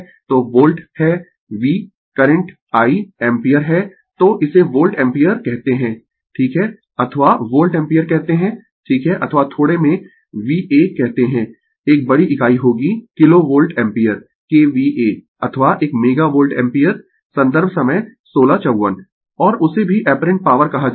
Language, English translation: Hindi, So, volt is V Current is I ampere so, we call it is volt ampere right or you call volt ampere right or is in short we call VA a larger unit will be kilo volt ampere KVA or a mega volt ampere and that this is also called apparent power